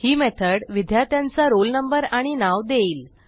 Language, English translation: Marathi, Now, this method will give the roll number and name of the Student